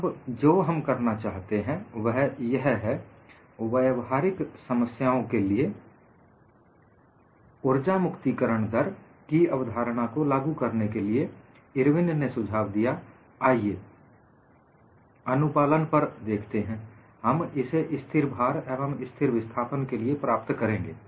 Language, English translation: Hindi, Now, what we want to do is in order to apply the concept of energy release rate to practical problems, Irwin suggests that, let us look at compliance; we will get this for constant load as well as constant displacement